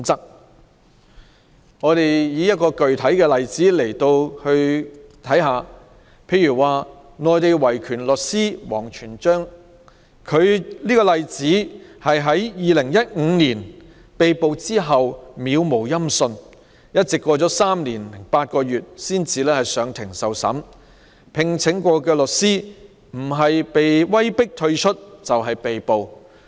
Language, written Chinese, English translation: Cantonese, 讓我舉出一個具體例子，內地維權律師王全璋在2015年被捕後杳無音訊，過了3年零8個月才出庭受審，他曾聘請的律師不是被威迫退出，就是被捕。, Let me give a concrete example . After the arrest of the Mainland human rights lawyer WANG Quanzhang in 2015 nothing was heard about him and he only appeared in court for trial three years and eight months later . The lawyers he hired were either forced to withdraw or arrested and at the time of the official trial he was tried behind closed doors on the grounds that state secrets were involved